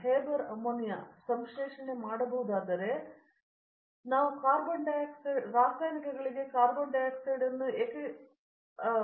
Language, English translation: Kannada, If Haber could do ammonia synthesis, why cannot we do carbon dioxide to chemicals